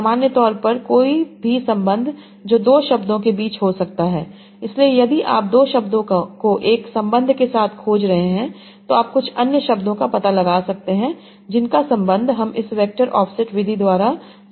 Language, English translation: Hindi, So if you are finding out two words with one relation, you can find out some many other words that are having the same relation by simple this vector offset method